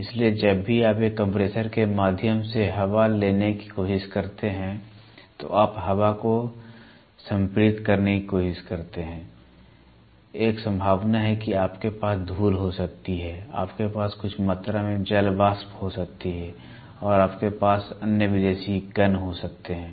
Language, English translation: Hindi, So, whenever you try to take air through a compressor what you do is you try to take free air, then you try to compress the air, when you try to compress a free air there is a possibility that you might have dust, you might have some amount of water vapour and you might have other foreign particles